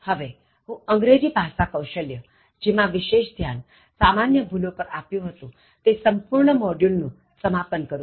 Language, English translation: Gujarati, So, we are concluding this module, this week, which we spend so much time on English Skills and Common Errors